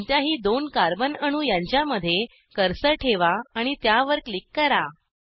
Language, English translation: Marathi, Place the cursor on the bond between any two carbon atoms and click on it